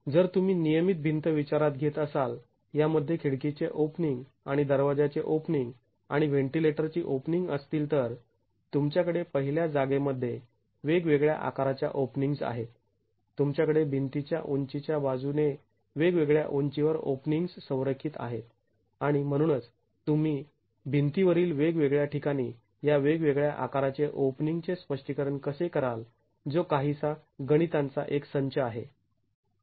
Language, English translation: Marathi, If you consider a regular wall which has window openings and door openings and ventilator openings, you have openings of different sizes in the first place, you have openings which are aligned at different heights along the height of the wall and hence how do you account for these different sizes of openings at different locations in a wall is a rather involved set of calculations